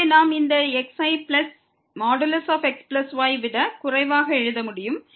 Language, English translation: Tamil, So, we can write down this plus less than modulus plus